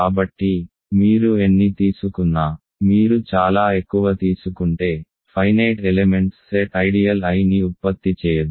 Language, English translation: Telugu, So, however many you take, if you take only finitely many that finite set of elements cannot generate the ideal I